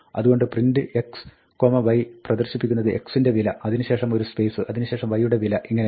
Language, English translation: Malayalam, So, print x, y will display the value of x, then, a space, then, the value of y